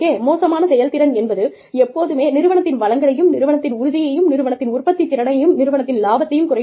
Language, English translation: Tamil, Poor performance is always, a drain on the organization's resources, on the organization's morale, on the organization's productivity, profitability